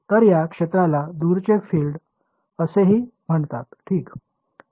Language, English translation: Marathi, So, this field far away is also called far field right